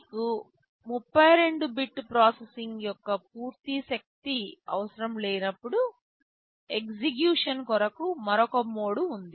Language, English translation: Telugu, But there is another mode of execution when you do not need the full power of 32 bit processing